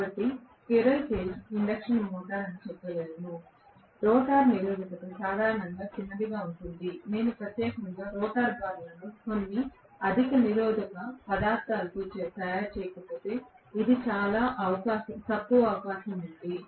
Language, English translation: Telugu, So, I can say squirrel cage induction motor, rotor resistance normally will be small, unless I specifically make the rotor bars with some high resistance material, which is very very unlikely